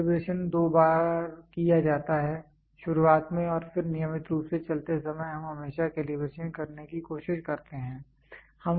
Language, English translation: Hindi, Calibration is done at two times; at the beginning and then regularly while running we always try to do calibration